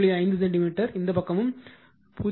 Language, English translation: Tamil, 5 centimeter this side also 0